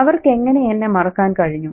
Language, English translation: Malayalam, How could they forget me